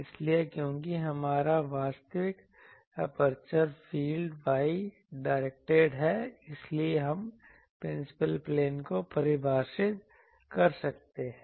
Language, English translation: Hindi, So, since our actual aperture field is y directed; so, we can define the principal planes